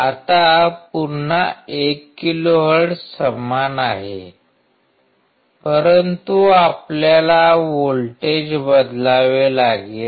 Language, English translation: Marathi, Now again 1 kilohertz is same, but we had to change the voltage